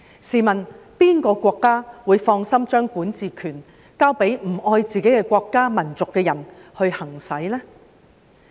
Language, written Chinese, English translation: Cantonese, 試問哪個國家會放心把管治權交給不愛自己國家和民族的人行使呢？, May I ask which country would be rest assured in handing over its administering authority to people who do not love their own country and nation?